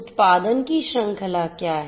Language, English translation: Hindi, What is the chain of production